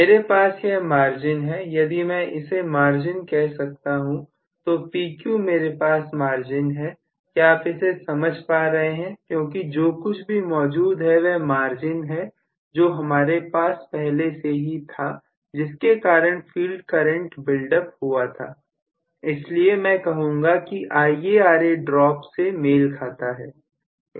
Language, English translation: Hindi, So, this is the only margin I have, so if I may call this as the margin, PQ is the margin I have, are you getting my point, because whatever is available this is basically the margin what I have in terms of building up the field current even earlier, so I should say this corresponds to actually the IaRa drop